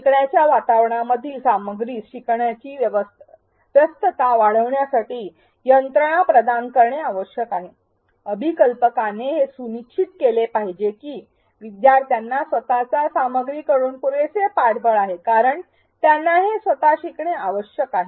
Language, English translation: Marathi, The content in the learning environment must provide mechanisms to enhance learner engagement; the designer should make sure that learners have sufficient support from the material itself, since they have to learn these on their own